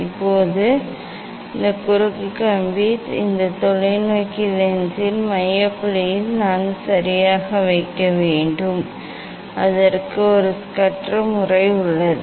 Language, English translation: Tamil, Now, now this cross wire, I have to put exactly at the focal point of this telescope lens for that there is a Schuster s method